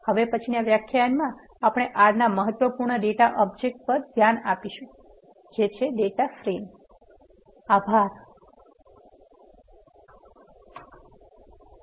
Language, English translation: Gujarati, In the next lecture, we are going to look at the important data object of R which is data frames